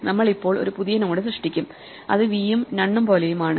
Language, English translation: Malayalam, We want to put a node here which has v and make this pointer